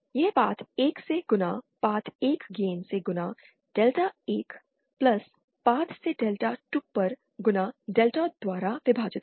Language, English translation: Hindi, That is Path 1 multiplied by path 1 gain multiplied by delta 1 + path to gain multiplied by delta 2 upon delta